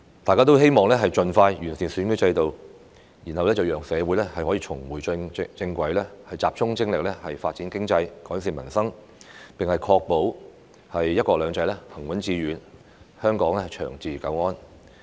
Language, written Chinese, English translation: Cantonese, 大家均希望盡快完善選舉制度，讓社會可以重回正軌，集中精力發展經濟，改善民生，並確保"一國兩制"行穩致遠，香港長治久安。, We all hope that the electoral system can be improved as soon as possible so that society can get back on track and focus on economic development and improving peoples livelihood as well as ensuring the steadfast and successful implementation of one country two systems and long - term stability and safety of Hong Kong